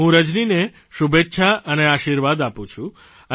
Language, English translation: Gujarati, My best wishes and blessings to Rajani